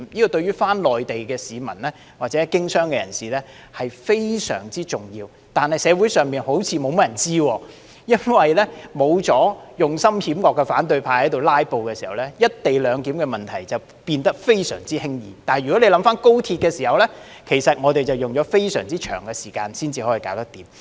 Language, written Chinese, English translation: Cantonese, 這對於返回內地的市民或經商的人士來說非常重要，但社會上好像沒有甚麼人知道，因為沒有了用心險惡的反對派"拉布"時，"一地兩檢"問題便變得非常輕易，如果大家回想在審議有關高鐵的議案時，我們卻用了非常長時間才能解決。, This is very important to members of the public going to the Mainland or those doing business there but it seems that few people in society know about it because without the opposition camp with sinister intentions filibustering the co - location arrangement became a very easy issue to resolve . If Members recall when we scrutinized the bill on the Express Rail Link it took us a very long time to sort things out